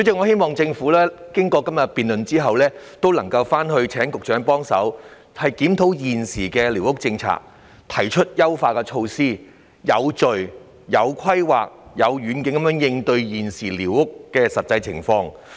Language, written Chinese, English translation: Cantonese, 希望政府經過今天的辯論後，局長能檢討現時的寮屋政策、提出優化措施，以及有序、有規劃及有遠景地應對現時的寮屋實際情況。, I will make my requests to the Government first and hope that after todays debate the Secretary will proceed to review the existing policy on surveyed squatter structures propose improvement measures and with a vision tackle in an orderly and well - planned manner the practical issues associated with squatter structures that we are now facing